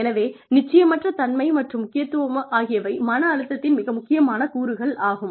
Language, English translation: Tamil, So, uncertainty, and importance, are very important elements of stress